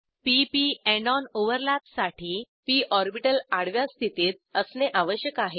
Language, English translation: Marathi, To form p p end on overlap, we need p orbitals in horizontal direction